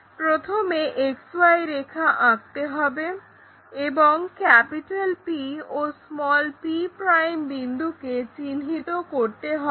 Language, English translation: Bengali, First step is draw XY line and mark point P and p'